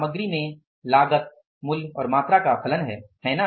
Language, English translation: Hindi, In the material the cost is the function of the price and the quantity